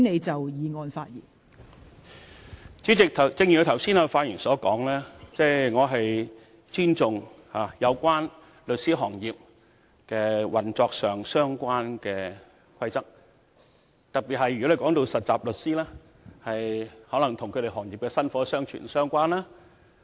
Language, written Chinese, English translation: Cantonese, 代理主席，正如我剛才發言時所說，我尊重與律師行業運作相關的規則，特別是涉及實習律師的規則，因為可能與該行業的薪火相傳相關。, Deputy President as I said in my speech just now I do respect rules relating to the operation of the solicitors profession particularly rules involving trainee solicitors as these may bear on the continuation of the profession